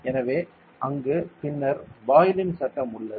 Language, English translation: Tamil, And then there is Boyle’s law ok